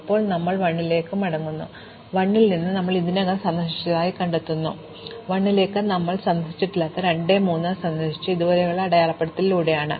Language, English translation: Malayalam, Now we go back to 1, and we find that from 1 we had already visited 2, 3 which we had not visited from 1 was visited via 2 so it is already marked so this is done